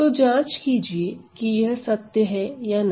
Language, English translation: Hindi, So, check whether this is true or not